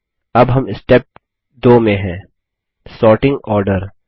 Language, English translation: Hindi, Now we are in Step 2 Sorting Order